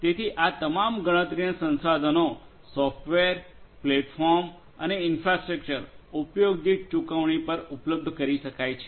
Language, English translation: Gujarati, So, all of these computational resources software, platform and infrastructure can be made available on a pay per use kind of basis